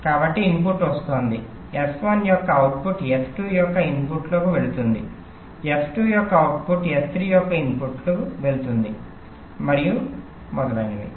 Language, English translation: Telugu, so the input is coming, the output of s one is going to the input of s two, output of s two is going to input of s three, and so on